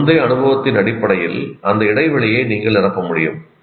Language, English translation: Tamil, So you will be able to, based on your prior experience, you will be able to fill in that gap